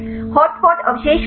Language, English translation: Hindi, What are hotspot residues